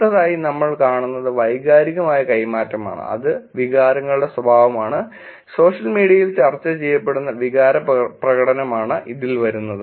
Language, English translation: Malayalam, The next one we look at is emotional exchange, which is nature of emotions and affective expression that are being discussed on social media